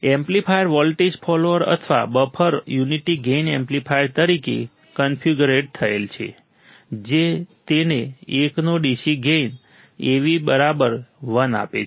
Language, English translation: Gujarati, The amplifier is configured as a voltage follower or a buffer or a unity gain amplifier giving it a DC gain of 1; AV=1